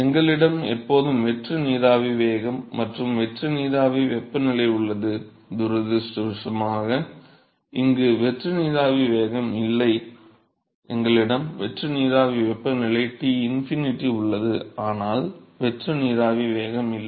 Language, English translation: Tamil, We always had a free steam velocity and free steam temperature, unfortunately there is no free steam velocity here, we have a free steam temperature which is Tinfinity, but there is no free steam velocity